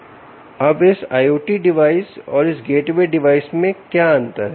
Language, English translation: Hindi, ok, now, what is the difference between this i o t device and this gateway device